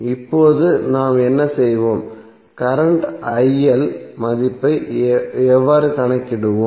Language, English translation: Tamil, Now what we will, how we will calculate the value of current IL